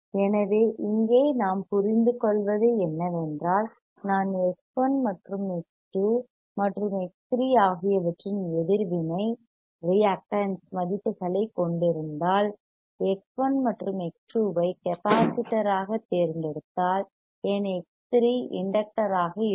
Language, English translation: Tamil, So, what we understood is what we understand here is that if I have a reactances; if I have values of X 1, X 2 and X 3 and if I select X 1 and XX 22 to be capacitor then my X 3 wouldcan be inductor